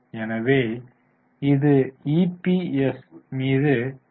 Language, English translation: Tamil, So it is DPS upon EPS